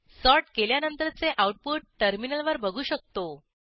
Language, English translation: Marathi, We can see the output on the terminal after sorting